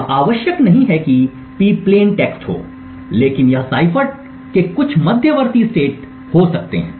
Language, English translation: Hindi, P is not necessarily the plain text but it could be some intermediate state of the cipher